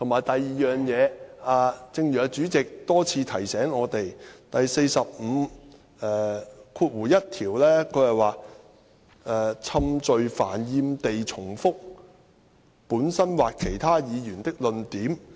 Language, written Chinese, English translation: Cantonese, 第二，正如主席多次提醒我們，《議事規則》第451條是有關"冗贅煩厭地重複本身或其他議員的論點"。, Second as President you have repeatedly reminded us RoP 451 is pertinent to irrelevance and tedious repetition of his own or other Members arguments